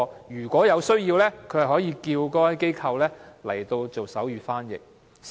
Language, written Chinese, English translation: Cantonese, 如果有需要，它可以請該機構提供手語翻譯。, In case of need HA can ask the Centre to provide sign language interpretation